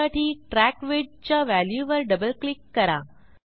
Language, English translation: Marathi, To do this double click on the value of Track Width